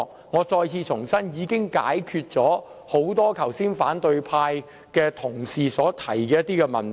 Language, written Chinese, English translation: Cantonese, 我再次重申，這項修正案已可解決多位反對派同事剛才提及的問題。, I reiterate that this amendment has already addressed the problems mentioned by a number of colleagues from the opposition camp earlier